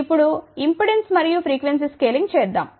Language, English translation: Telugu, Now, let us do the impedance and frequency scaling